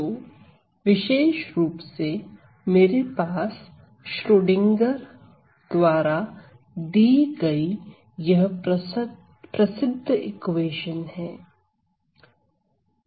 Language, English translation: Hindi, So, in particular I have this famous equation given by Schrodinger